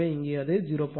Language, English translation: Tamil, So, here it is 0